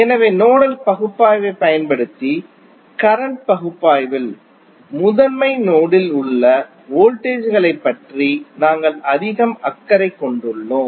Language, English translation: Tamil, So, in circuit analysis using nodal analysis we are more concerned about the voltages at principal node